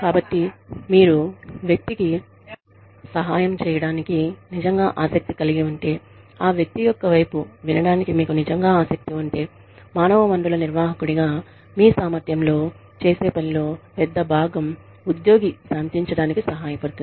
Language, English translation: Telugu, So, if you are genuinely concerned, if you are genuinely interested, in hearing the person's side, if you are genuinely interested in helping the person, in your capacity as the human resources manager, which is a big chunk of, what you do as an HR manager, then it will help the employee, to calm down